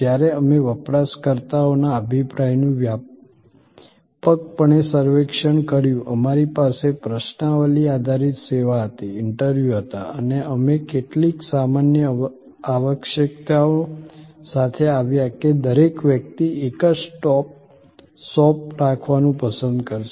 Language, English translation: Gujarati, When we extensively surveyed opinion of users, we had questionnaire based service, interviews, we came up that with some general requirements like everybody would prefer to have a one stop shop